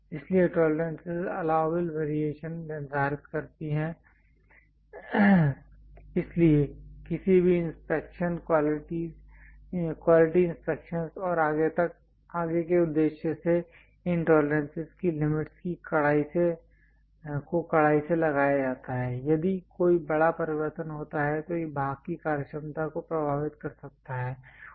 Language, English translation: Hindi, So, tolerances set allowable variation so, any quality inspections and so on, further purpose these tolerance limits are strictly imposed, if there is a large variation it may affect the functionality of the part